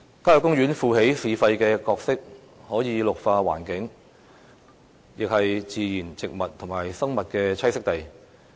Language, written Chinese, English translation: Cantonese, 郊野公園負起"市肺"的角色，可以綠化環境，也是自然植物和生物的棲息地。, Country parks as urban lungs can add green to the environment and provide habitats for natural vegetation and living things